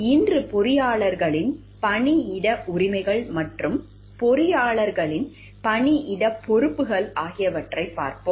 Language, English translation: Tamil, Today we will be looking into the workplace rights of the engineers and the workplace responsibilities of engineers